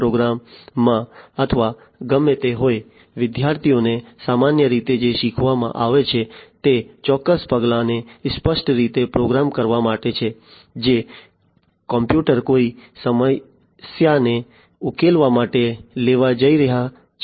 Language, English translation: Gujarati, Tech program or whatever; what the students are taught typically is to make to explicitly program certain steps, which the computer are going to take in order to solve a problem